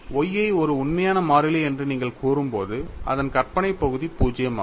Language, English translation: Tamil, When you say Y as a real constant, it is imaginary part is 0